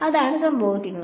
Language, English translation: Malayalam, That is what will happen